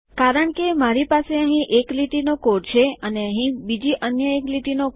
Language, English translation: Gujarati, Because I have one line of code here and another one line of code here